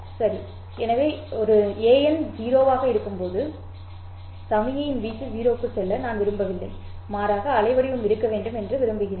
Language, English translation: Tamil, N is equal to 0, I don't want the amplitude of the signal to go to 0, but rather I want the waveform to be present